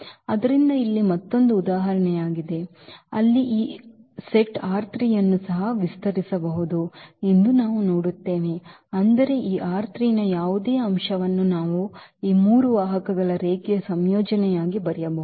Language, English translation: Kannada, So, here this is another example where we will see that this set can also span R 3; that means, any element of this R 3 we can write down as a linear combination of these three vectors